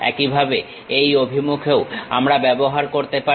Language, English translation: Bengali, Similarly, we can use in this direction also